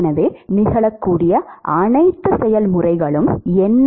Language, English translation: Tamil, So, what are all the processes which are likely to occur